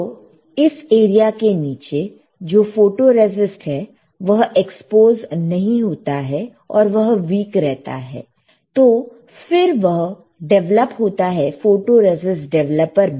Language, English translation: Hindi, So, photoresist which is below this area, it will not be exposed and it got weaker and then it got developed in the photoresist developer, correct